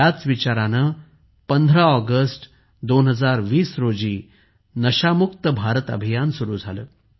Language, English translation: Marathi, With this thought, 'NashaMukt Bharat Abhiyan' was launched on the 15 August 2020